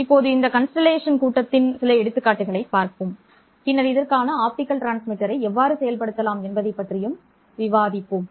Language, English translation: Tamil, Let us now look at some examples of this signal constellation and then discuss how can we implement optical transmitters for this